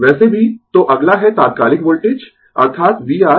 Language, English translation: Hindi, Anyway, so next is instantaneous voltage that is v R plus v L is equal to v